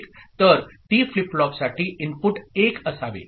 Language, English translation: Marathi, So, for T flip flop the input should be 1